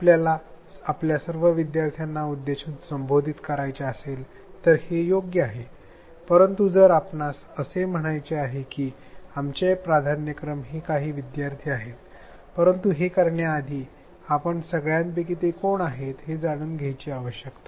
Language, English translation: Marathi, Its great if we want to address all our learners, but it its fine if we say that our priority are these learners, but before we are able to do any of those we need to know who they are